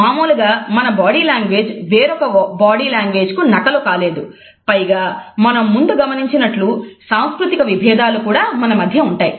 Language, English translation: Telugu, Our body language is not a duplicate of anyone else’s body language normally and at the same time there are cultural differences also as we have referred to